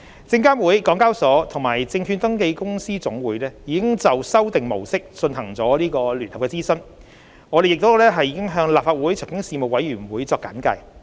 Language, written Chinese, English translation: Cantonese, 證監會、港交所及證券登記公司總會已就修訂模式進行了聯合諮詢，我們亦已向立法會財經事務委員會作簡介。, SFC HKEX and FSR have conducted a joint consultation on the Revised Model and we have consulted the Legislative Council Panel on Financial Affairs on the proposal